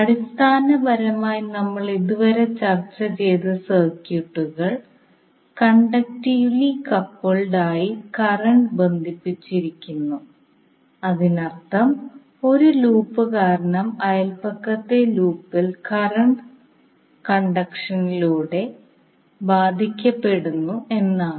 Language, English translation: Malayalam, So basically the circuits which we have discussed till now were conductively coupled that means that because of one loop the neighbourhood loop was getting affected through current conduction that means that both of the lops were joint together and current was flowing from one loop to other